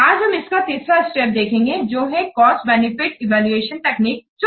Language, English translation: Hindi, So, today we will discuss the different cost benefit evaluation techniques